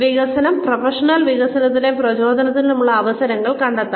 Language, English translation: Malayalam, To identify, opportunities for professional development and motivation